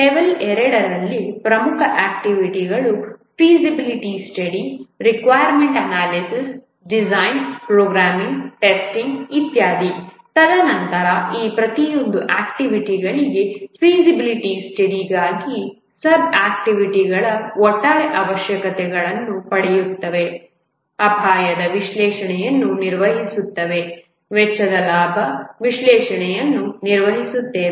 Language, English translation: Kannada, the MIS project that's represented as level one in the level two important activities the feasibility study requirements analysis design programming testing etc and then for each of these activities the sub sub activities, for feasibility study, get the overall requirements, perform risk analysis, perform cost benefit analysis, etc